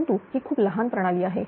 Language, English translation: Marathi, But it is a very small system